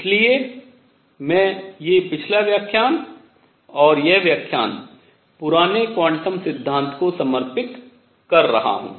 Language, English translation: Hindi, That is why I am doing this the previous lecture and this lecture devoted to old quantum theory